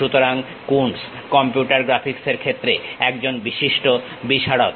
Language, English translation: Bengali, So, Coons is a famous pioneer in the field of computer graphics